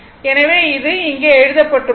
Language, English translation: Tamil, So, that is written here right